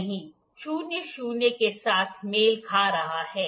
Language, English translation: Hindi, Zero is coinciding with zero